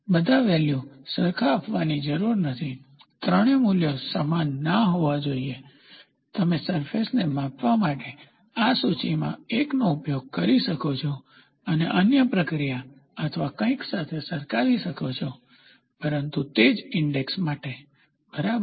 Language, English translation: Gujarati, All the 3 values need not give the same, all the three values need not be the same, you can use one in index to measure a surface and compare this with the other, other process or something, but for the same index, ok